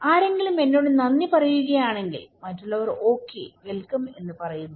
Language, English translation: Malayalam, If someone is telling me thank you, other people are saying that okay you were welcome